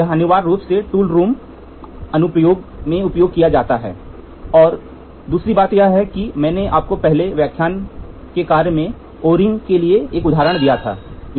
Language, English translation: Hindi, It is essentially used in tool room applications and the other thing is if you I gave you an example for O ring in the first lecture task for the students